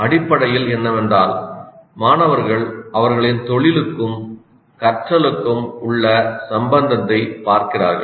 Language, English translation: Tamil, What is essentially is that the students see the relevance of what they are learning to their profession